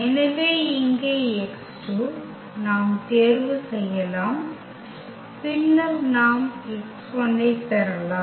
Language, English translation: Tamil, So, here the x 2 we can choose and then we can get the x 1